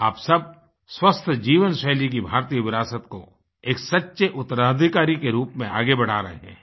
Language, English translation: Hindi, All of you are carrying forward the Indian tradition of a healthy life style as a true successor